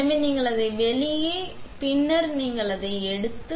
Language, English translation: Tamil, So, you pull it out and then you take it out